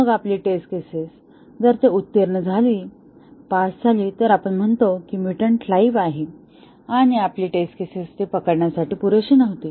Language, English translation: Marathi, Then, our test cases if they pass, then we say that the mutant is alive and our test cases were not good enough to catch that